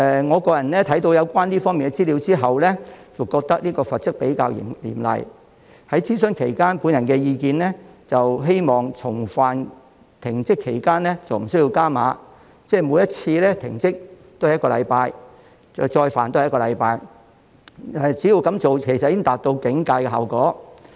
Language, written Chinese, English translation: Cantonese, 我在看過有關資料後，個人認為罰則比較嚴厲，在諮詢期間，我的意見是重犯期間停職罰則無需加碼，即是每一次停職都是1星期，重犯也是1星期，這樣其實已達到警戒效果。, After reading the relevant information I personally considered that the penalties were somewhat too harsh . During the consultation period I was of the view that the penalties for any subsequent occasion should not be increased progressively . That is to say each suspension period should only be one week and any repeated offence should only be penalized for a one - week suspension because I considered the deterrent effect adequate